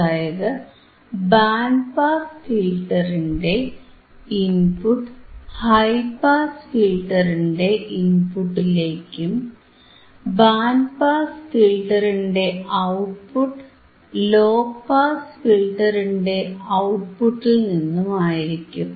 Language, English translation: Malayalam, So, input of band pass filter is athe input to high pass filter and output of band pass filter is output tofrom the low pass filter